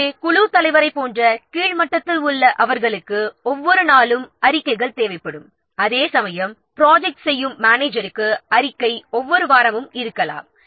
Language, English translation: Tamil, So, at the bottom level like team leader, they will require the reports more frequently, might be on every day, whereas project manager may require the report may be on every week or so